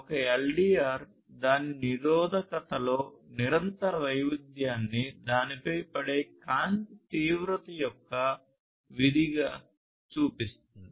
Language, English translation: Telugu, A LDR shows continuous variation in its resistance as a function of intensity of light falling on it